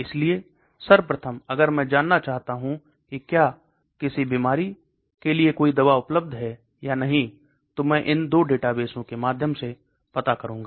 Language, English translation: Hindi, So first step if I want to know whether there is any drug available for a disease is that I will go through these 2 databases